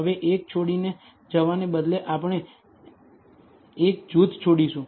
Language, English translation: Gujarati, Now instead of leaving one out, we will leave one group out